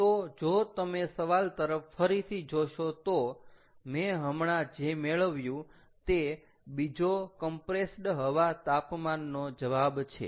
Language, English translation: Gujarati, so if you look at the question once again, what i have got is the second answer, compressed air temperature